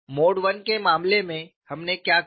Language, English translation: Hindi, So, in the case of mode 1 what we did